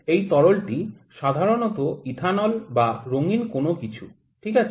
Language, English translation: Bengali, This fluid is generally some ethanol, something anything that is coloured, ok